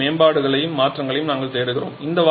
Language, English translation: Tamil, And we are looking for even further improvements and modifications